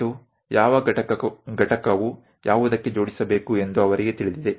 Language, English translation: Kannada, And they know which component has to be assembled to what